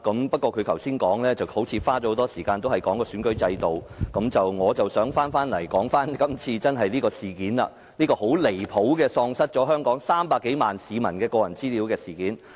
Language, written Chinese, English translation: Cantonese, 不過，他在剛才的發言中花了很多篇幅談論選舉制度，但我想集中討論今次這宗很離譜地遺失了香港300多萬市民的個人資料的事件。, In his speech just now he spent a lot of time discussing our electoral system but I want to focus on the outrageous incident in which the personal particulars of more than 3 million Hong Kong residents were lost